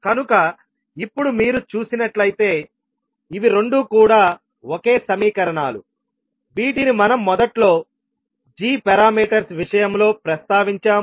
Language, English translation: Telugu, So now, you will see that these two are the same equations which we initially mentioned in case of g parameters